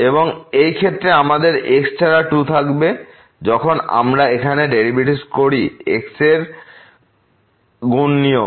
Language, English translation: Bengali, And in this case also we will have 2 without x when we do this derivative here the product rule cube